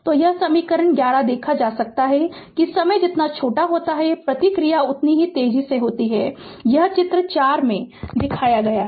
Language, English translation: Hindi, So, it can be observed from equation 11 that the smaller the time constant the faster the response this is shown in figure four